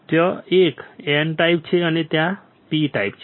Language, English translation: Gujarati, There is a N type and there is P type